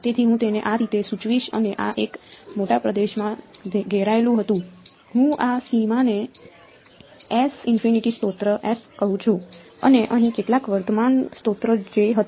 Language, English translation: Gujarati, So, I will indicate it like this and this was surrounded in a bigger region I call this boundary S infinity the source S and there was some current source over here J